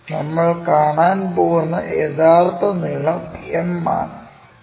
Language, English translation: Malayalam, The true length what we might be going to see is this one m